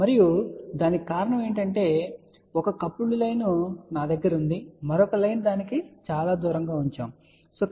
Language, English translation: Telugu, And the reason for that is let us say i have a one coupled line and the another line is put quiet far away